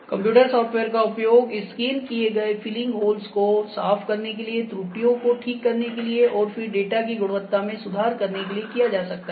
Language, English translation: Hindi, So, the computer software can be used to clean up this scanned data filling holes, correcting errors, then data improving the quality